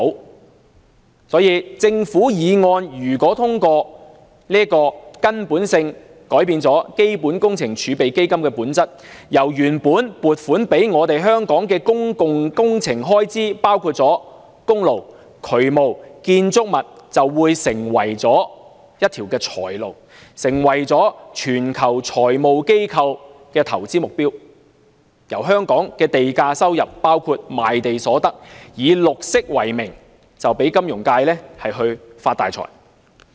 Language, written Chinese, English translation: Cantonese, 因此，如果政府的擬議決議案獲得通過，將會根本地改變基本工程儲備基金的本質，原本撥予香港公共工程的款項，包括公路、渠務和建築物等就會成為一條財路，成為全球金融機構的投資對象；香港的地價收入，包括賣地所得，就會以綠色為名讓金融界發大財。, In view of the foregoing the passage of the Governments proposed resolution will fundamentally change the nature of CWRF . The funding originally allocated to Hong Kongs public works including highways drainage and buildings will become a money - spinner and a target of investment by financial institutions worldwide . The financial sector will net itself a huge fortune from Hong Kongs land premium including the proceeds from land sale in the name of green